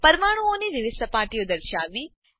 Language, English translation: Gujarati, Display different surfaces of molecules